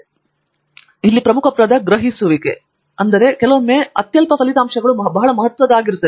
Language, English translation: Kannada, I think, the key word in research is perceptive and sometimes insignificant results can become very significant